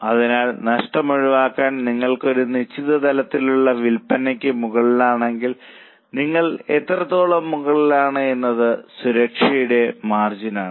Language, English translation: Malayalam, So to avoid losses you are above certain level of sales, how much you are above is the margin of safety